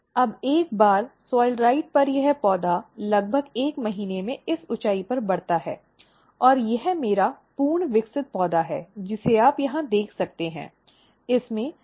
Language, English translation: Hindi, Now, once on soilrite this plant grows of this height in around 1 month and this is my fully grown plant which you can see here it has silliques, flowers